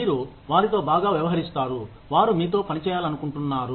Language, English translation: Telugu, You treat them well, they want to work with you